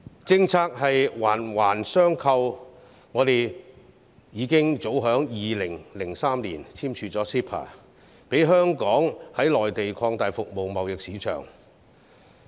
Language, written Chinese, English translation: Cantonese, 政策是環環相扣的，香港早在2003年已簽署 CEPA， 讓香港可以在內地擴大服務貿易市場。, Policies are closely connected . Hong Kong signed CEPA as early as in 2003 so that it could expand its services trade market in the Mainland